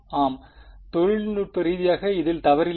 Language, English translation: Tamil, Yes, technically there is nothing wrong with this